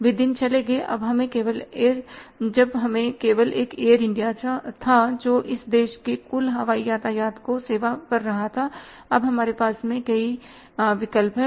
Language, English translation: Hindi, One are the days that when we had only say one air India who was serving the total air traffic of this country now we have the multiple choices with us